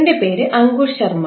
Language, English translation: Malayalam, My name is Ankush Sharma